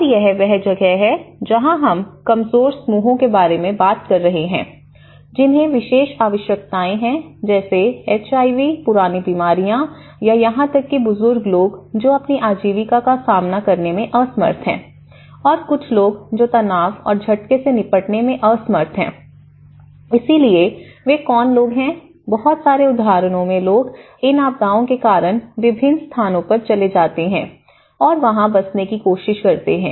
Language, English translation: Hindi, And that is where we are talking about the vulnerable groups, who have special needs such as HIV, chronic diseases or even the elderly people who are unable to cope up with their livelihoods and unable to cope up with certain stresses and shocks, so who are these vulnerable people, human settlements because many at the cases like in the disasters people migrate to different places and they try to settle down